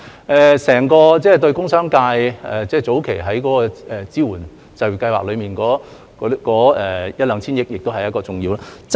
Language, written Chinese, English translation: Cantonese, 對於整個工商界，早期在支援就業計劃中的一兩千億元亦是重要的。, For the industrial and commercial sectors as a whole the 100 billion to 200 billion under the previous employment support programmes was also important